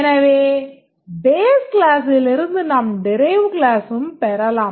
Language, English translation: Tamil, So the base class can, from the base class you can inherit a derived class